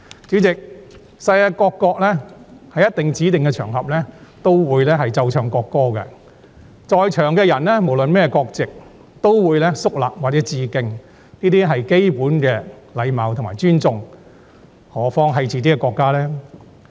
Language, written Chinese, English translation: Cantonese, 主席，世界各國在指定的場合也會奏唱國歌，在場人士無論是甚麼國籍，也會肅立或致敬，這是基本的禮貌和尊重，更何況是自己國家的國歌呢？, Chairman every country around the world plays and sings its national anthem on specified occasions . People present regardless of their nationalities will stand solemnly and pay their respect . This is basic manner and respect especially when it is the national anthem of ones own country